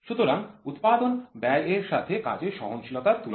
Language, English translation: Bengali, So, manufacturing cost versus work piece work tolerance